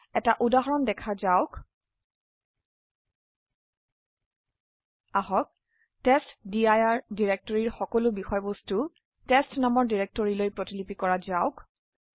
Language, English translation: Assamese, Let us try to copy all the contents of the testdir directory to a directory called test